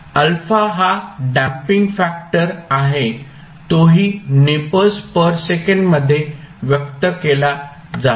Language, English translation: Marathi, Alpha is the damping factor which is again expressed in nepers per second